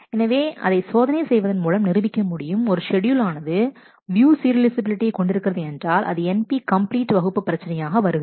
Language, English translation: Tamil, So, it has been proved that the of checking, whether a schedule is view serializable is in the class of NP complete problem